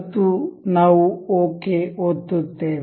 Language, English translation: Kannada, And we will click ok